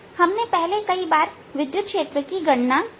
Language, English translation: Hindi, we have already calculated electric field many times